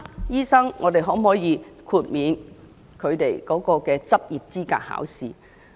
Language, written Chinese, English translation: Cantonese, 因此，我們可否豁免這群醫生的執業資格考試？, Therefore should we exempt them from sitting for the licensing examination?